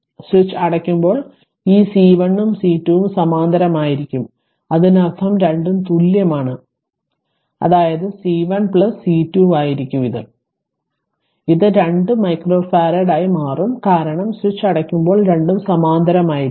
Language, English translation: Malayalam, when switch is closed this C 1 and C 2 are in parallel; that means, an both are equal right; that means, it will C 1 plus C 2 that is it will become 2 micro farad because both are in parallel when switch is closed right So, in this case ah sorry let me clear it